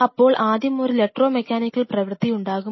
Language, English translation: Malayalam, So, it will generate an electro mechanical activity